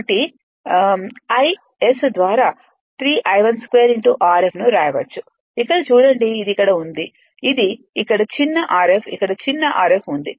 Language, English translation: Telugu, So, you can write 3 I I 1 square R f by omega S look here it is you know here it is here it is small r f here it is small r f